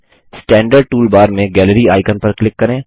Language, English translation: Hindi, Click on the Gallery icon in the standard toolbar